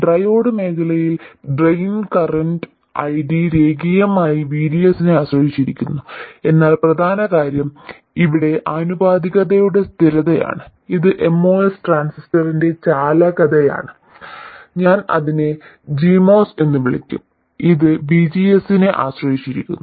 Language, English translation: Malayalam, And in a resistor this current is linearly dependent on the voltage and in the triad region with this approximation the drain current ID is linearly dependent on VDS but the important thing is the constant of proportionality here which is the conductance of the MOS transistor I will will call it G MOS, is dependent on VGS